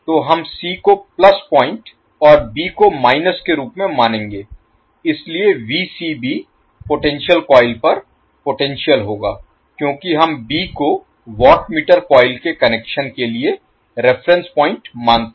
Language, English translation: Hindi, So we will consider the c s plus point and b s minus so Vcb will be the potential across the potential coil because we consider b as a reference point for the connection of the watt meter coils